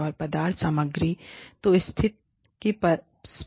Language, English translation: Hindi, And, substance material, so the, tangibility of the situation